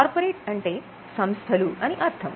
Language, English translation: Telugu, Corporate refers to companies or the corporations